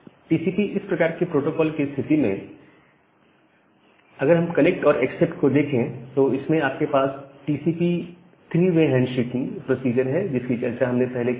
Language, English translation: Hindi, Now, in case of a TCP kind of protocol within that connect and accept, you have the TCP three way handshaking procedure that we have discussed